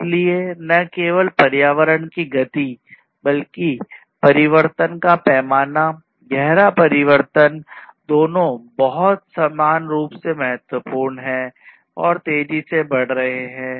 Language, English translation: Hindi, So, not only the speed of change, but also the scale of change, the profound change both are very equally important and are increasing in rapid pace